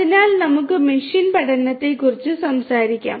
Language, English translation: Malayalam, So, let us talk about machine learning